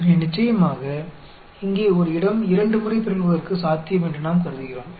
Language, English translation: Tamil, So, of course, here we assume that, the possibility of a site getting mutated twice